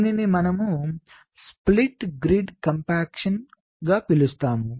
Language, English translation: Telugu, this we call as this split grid compaction